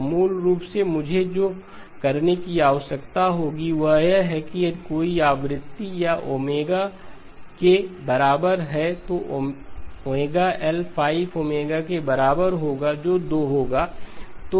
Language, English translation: Hindi, So basically what I would need to do is if there was a frequency or omega equal to 2pi by 5 okay, omega times L, omega times L would be equal to 5 times omega that would be 2pi